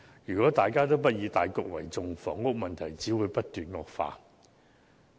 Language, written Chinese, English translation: Cantonese, 如果大家不以大局為重，房屋問題只會不斷惡化。, If Members do not put public interest in the first place the housing problem will only be worsening